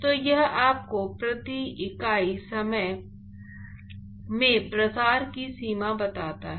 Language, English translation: Hindi, So, it tells you the extent of diffusion per unit time